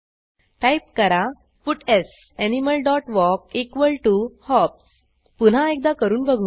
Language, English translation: Marathi, Type puts animal dot walk equal to hops Now let give it another try